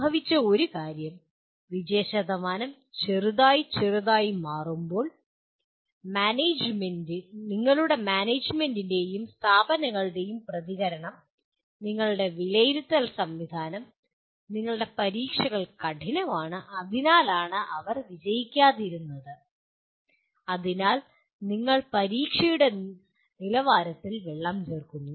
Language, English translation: Malayalam, One of the things that happened is, when the pass percentages are or let us are becoming smaller and smaller, then the reaction had been of all managements and institutions saying that, that your assessment system, your examinations are tough and that is why they did not pass so you kind of water down the level of the examination